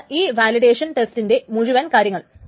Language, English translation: Malayalam, So that is the whole thing about validation test